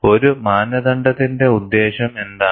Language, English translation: Malayalam, What is the purpose of a standard